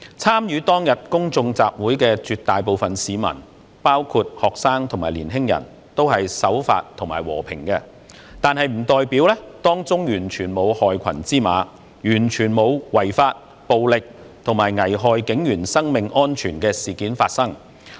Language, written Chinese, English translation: Cantonese, 參與當天公眾集會的絕大部分市民，包括學生及年青人，都是守法和平的，但並不代表當中完全沒有害群之馬，完全沒有違法、暴力及危害警員生命安全的事件發生。, The majority of participants in the public meeting on that day including students and youngsters were law - abiding and peaceful . But it does not mean there were no black sheep among them at all and nothing unlawful violent and hazardous to the police officers safety took place